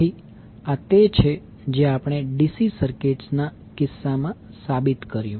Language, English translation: Gujarati, So, this is what we proved in case of DC circuit